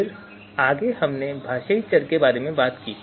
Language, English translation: Hindi, Then further we talked about the linguistic variable